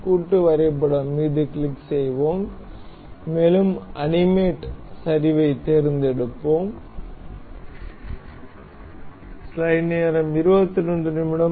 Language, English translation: Tamil, We will click on assembly and we will select animate collapse